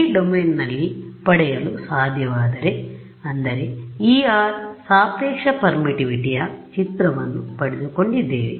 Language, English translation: Kannada, If I am able to get this in this domain; that means, I have got an image of epsilon r relative permittivity